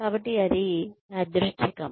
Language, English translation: Telugu, So, that is random